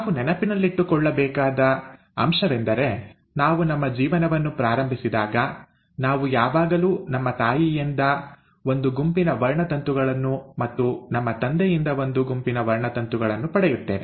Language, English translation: Kannada, Now, what we have to remember is that when we start our life, we always get a set of chromosomes from our mother, and a set of chromosomes from our father